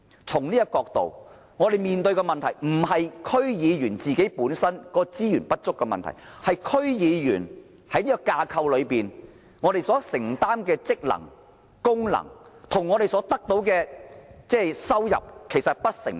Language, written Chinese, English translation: Cantonese, 從這個角度來看，我們面對的問題不是區議員本身資源不足，而是區議員在現有架構下所承擔的職能、功能，跟我們所得的收入不成正比。, From this perspective the problem we are facing is not insufficient resources for DC members but that the terms of reference and functions of DC members under the existing framework are disproportionate to the income we receive